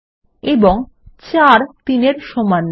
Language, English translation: Bengali, 4 times 3 is equal to 12